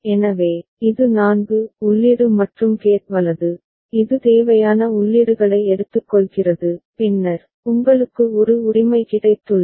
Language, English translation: Tamil, So, this is the 4 input AND gate right which is taking those necessary inputs and then, you have got a OR right